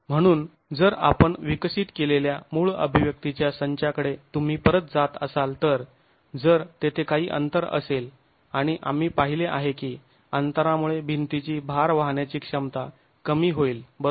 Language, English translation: Marathi, So if you were to go back to the original set of expressions that we developed, if there is a gap and we have seen that the gap will lead to a reduction in the load carrying capacity of the wall, right